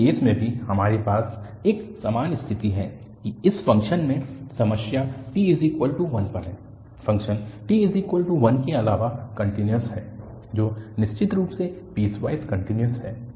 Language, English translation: Hindi, And, in this case also, we have a similar situation that the problem in this function is at t equal to 1, the function is continuous other than t equal to 1 indeed which is definitely piecewise continuous